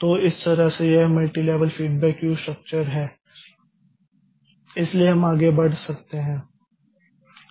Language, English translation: Hindi, So, this way this multi level feedback Q structure so we can move further